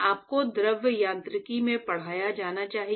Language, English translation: Hindi, Must have been taught you in fluid mechanics